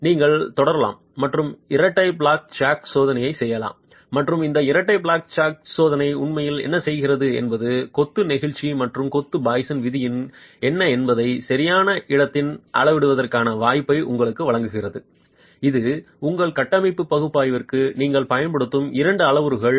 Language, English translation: Tamil, You can continue and do a double flat jack test and what this double flat jack test is really doing is giving you the possibility of measuring in situ what is the modulus of elasticity of the masonry and the poisons ratio of the masonry, both parameters that you will use for your structural analysis